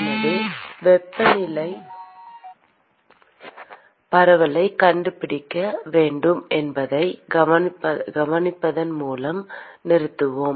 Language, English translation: Tamil, So, we stopped by observing that we need to find the temperature distribution